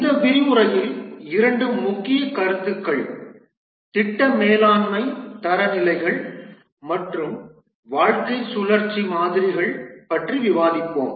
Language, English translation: Tamil, In this lecture, we'll discuss two main concepts, the project management standards and the lifecycle models